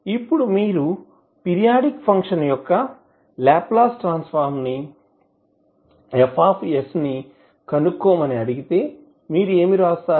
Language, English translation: Telugu, So now if you are asked to find out the Laplace transform of the periodic function that is F s what you will write